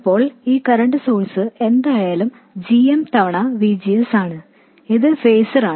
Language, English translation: Malayalam, Now this current source of course is GM times VGS which is the phaser